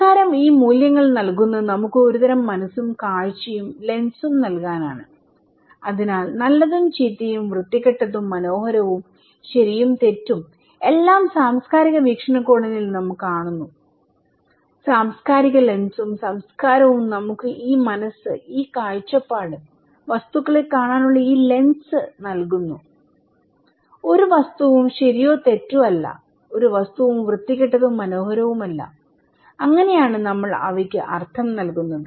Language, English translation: Malayalam, And culture create these values to give us some kind of mind, vision and lens so, what is good and bad, ugly and beautiful, right and wrong this is we see from cultural perspective, cultural lens and culture gives us this mind, this vision and this lens to see the objects, no object is right or wrong, no object is ugly and beautiful, it is that we which we give the meaning to them right